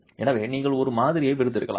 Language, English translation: Tamil, So you can extract some samples